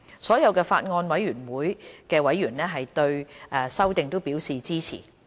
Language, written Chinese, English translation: Cantonese, 所有法案委員會的委員對修訂都表示支持。, All members of the Bills Committee have expressed support for the proposal